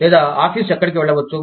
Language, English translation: Telugu, Or, where the office, can go